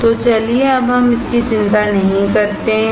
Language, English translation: Hindi, So, let us not worry about it now